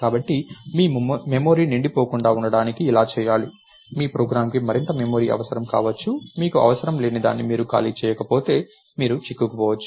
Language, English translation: Telugu, So, that your memory is not hogged, your program itself further down may need more memory, if you didn't free up something that you don't need, you may get stuck